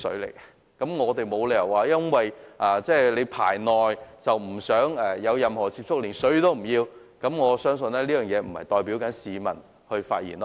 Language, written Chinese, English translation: Cantonese, 所以，我們沒有理由說由於"排內"，不想與內地有接觸，便連食水也不要，我相信這並非市民的意見。, We should not abandon our water out of xenophobia or because we do not want to have any connection with the Mainland . I do not think it is the opinion of the public